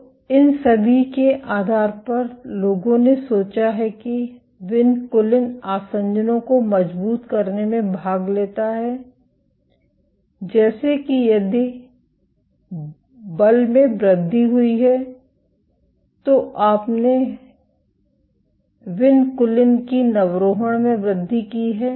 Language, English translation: Hindi, So, based on all of this people have thought that vinculin participates in strengthening adhesions such that if there is increased force then you have increased recruitment of vinculin